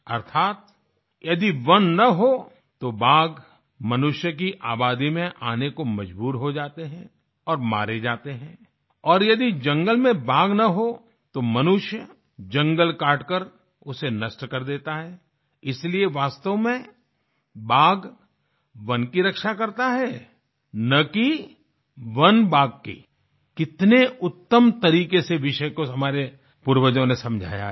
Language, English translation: Hindi, That is, if there are no forests, tigers are forced to venture into the human habitat and are killed, and if there are no tigers in the forest, then man cuts the forest and destroys it, so in fact the tiger protects the forest and not that the forest protects the tiger our forefathers explained this great truth in a befitting manner